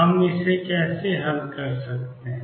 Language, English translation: Hindi, How do we solve this